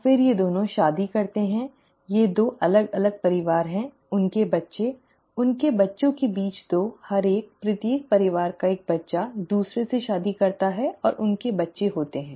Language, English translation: Hindi, Then these 2 marry, these are 2 different families, their children, the 2 among their children, each one, a child from each family marries the other and they have children